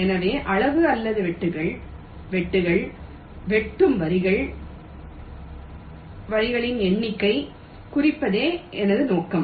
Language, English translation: Tamil, so my objective is to minimize the size or the cuts, the cut size number of lines which are cutting